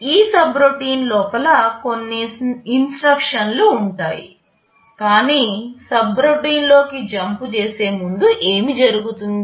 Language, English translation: Telugu, Inside this subroutine there will be some instructions, but before jump into the subroutine what will happen